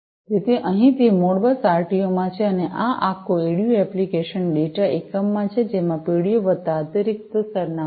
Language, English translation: Gujarati, So, here it is in the Modbus RTU and, this is the whole ADU the application data unit, which has the PDU plus the additional address